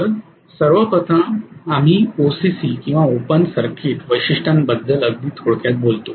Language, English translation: Marathi, So first of all we talk very briefly about OCC or open circuit characteristics the other day